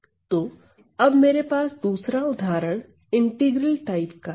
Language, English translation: Hindi, So, then I have another example of the integral type